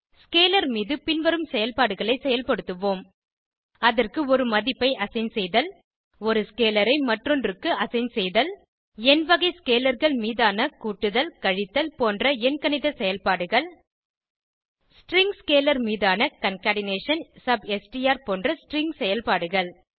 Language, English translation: Tamil, We can perform the following operations on scalar Assign a value to it Assign one scalar to another Arithmetic operations on number type of scalars like add, subtract etc string operations on string scalar like concatenation, substr etc Now let us look at an example of scalar data structure